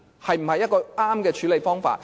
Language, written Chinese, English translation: Cantonese, 是否一個正確的處理方法？, Is this a correct way of dealing with the issue?